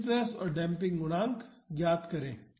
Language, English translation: Hindi, Determine the stiffness and damping coefficients